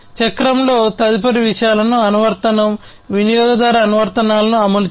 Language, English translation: Telugu, Then the next thing in the cycle is executing the application, the user applications